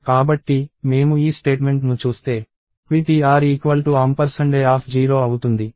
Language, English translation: Telugu, So, at this point ptr was pointing at a of 0